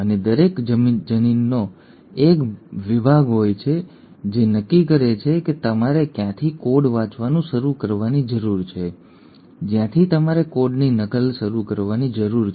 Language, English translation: Gujarati, And each gene has a section which determines from where you need to start reading the code, from where you need to start copying the code